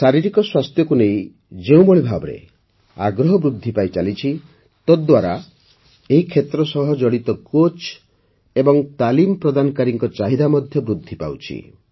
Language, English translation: Odia, The way interest in physical health is increasing, the demand for coaches and trainers related to this field is also rising